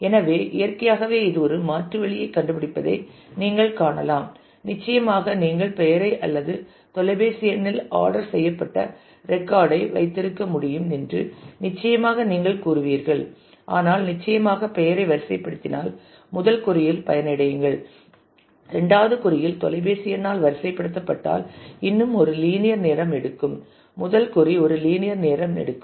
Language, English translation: Tamil, So, you can see that naturally this gives us a alternate way of finding out and certainly you would say that we could have kept the record sorted on name or on phone number, but certainly if we keep it sorted on name the first query we will get benefited the second query will still take a linear time if we get keep it sorted by phone number the first query will take a linear time